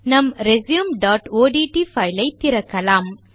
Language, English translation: Tamil, We shall open our resume.odt file